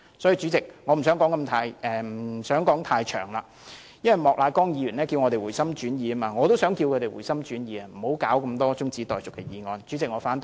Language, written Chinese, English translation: Cantonese, 主席，我不想說太多了，莫乃光議員叫我們回心轉意，我也想呼籲他們回心轉意，不要提出這麼多中止待續的議案。, President I do not want to say too much . Mr Charles Peter MOK has called on us to change our minds . I also want to call on them to change their minds and stop moving so many adjournment motions